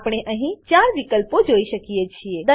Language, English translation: Gujarati, We can see 4 options here